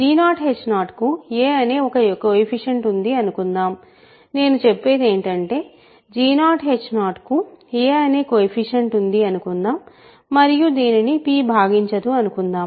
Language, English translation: Telugu, So, let us say let there exists a coefficient a of g 0 h 0 so, that is what I should say: there exist a coefficients a of g 0 h 0 such that p does not divide here